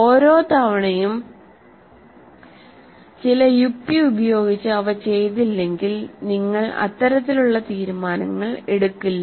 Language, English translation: Malayalam, If they are not done every time through logical, using certain logic, you do not make decisions like that